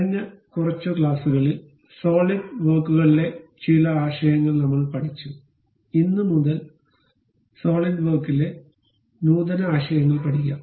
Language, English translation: Malayalam, In last few classes, we learned some of the concepts in Solidworks; advanced concepts in solidworks from today onwards, we will learn it